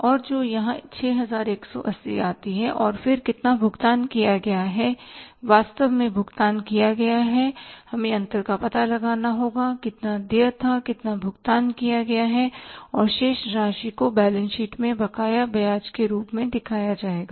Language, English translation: Hindi, We have to find out that amount here and that works out here is as 6 180 and then how much is paid, actually paid, we will have to find out the difference, how much was due, how much is paid and the balance will be shown as interest outstanding in the balance sheet